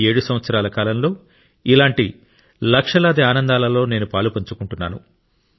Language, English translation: Telugu, In these 7 years, I have been associated with a million moments of your happiness